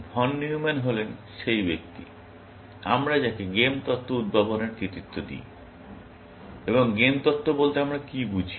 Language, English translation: Bengali, Von Newman is the person, we credit with inventing game theory, and what do we mean by game theory